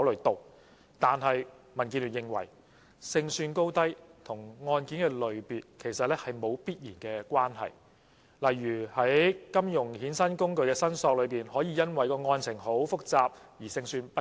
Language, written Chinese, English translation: Cantonese, 但是，民建聯認為，勝算高低與案件類別其實沒有必然關係，例如在金融衍生工具的申索中，可以因為案情複雜而勝算不高。, However the Democratic Alliance for the Betterment and Progress of Hong Kong is of the view that there is no definite relationship between high or low chance of success and categories of cases . For instance with regard to derivatives claims due to the complexity of the cases the chance of success can be very low